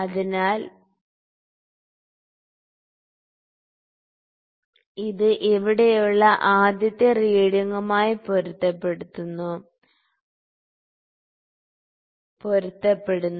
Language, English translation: Malayalam, So, this is coinciding with the first reading here